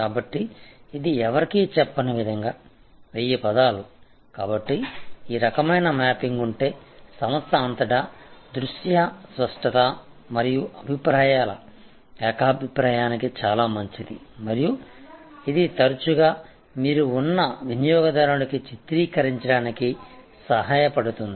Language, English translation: Telugu, So, as it says it to no one picture is what 1000 words, so this kind of mapping if therefore, very good for visual clarity and consensus of views across the organization and it often helps actually to portray to the customer, where you are